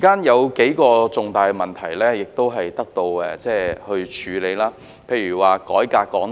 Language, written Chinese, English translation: Cantonese, 有數個重大問題亦已獲得處理，例如改革香港電台。, Several major issues have been addressed such as the reform of Radio Television Hong Kong RTHK